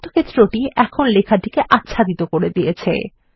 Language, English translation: Bengali, The rectangle has now covered the text